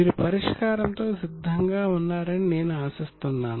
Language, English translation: Telugu, I hope you are ready with the solution